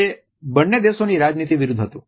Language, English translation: Gujarati, It went against the policies of both countries